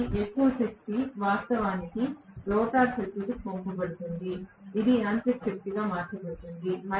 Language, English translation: Telugu, So, more power will be actually passed on to the rotor circuit which will be converted into mechanical power